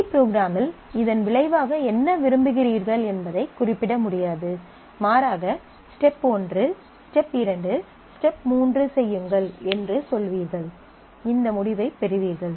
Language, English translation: Tamil, And in C program, you cannot specify what you want as a result you would rather say that do step one, step two, step three and you will get this result